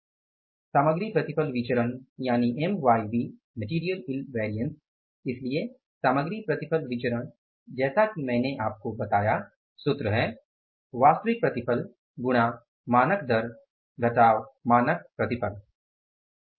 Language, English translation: Hindi, So, in the material yield variance as I told you the formula is standard rate into actual yield minus standard yield